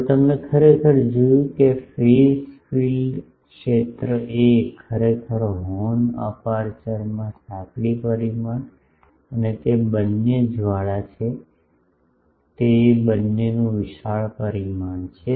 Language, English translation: Gujarati, Now, actually you see that the phase field a actually the since horn aperture has a large dimension both the narrow dimension and a they have been flared